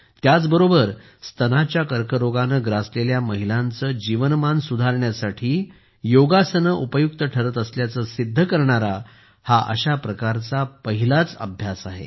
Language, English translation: Marathi, Also, this is the first study, in which yoga has been found to improve the quality of life in women affected by breast cancer